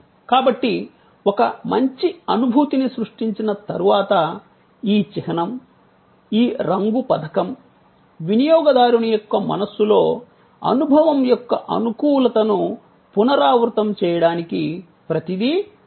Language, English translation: Telugu, So, once a good feeling is created, then this logo, this color scheme, everything is important to repeat, to repeat, to repeat in the customer's mind the positivity of the experience